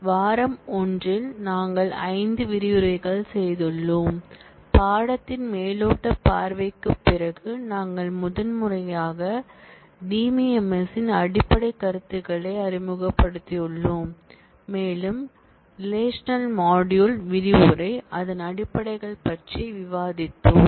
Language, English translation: Tamil, In week 1 we have done 5 modules, after the overview of the course, we have primarily introduced the basic notions of DBMS and we have discussed about the relational module, the fundamentals of it